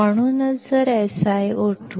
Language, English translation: Marathi, That is why if SiO2 is around 0